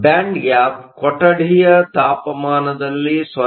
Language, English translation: Kannada, The band gap values at room temperature 0